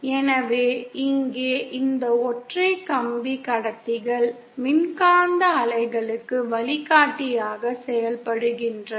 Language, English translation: Tamil, So here these single wire conductors, they simply act as a guide for electromagnetic waves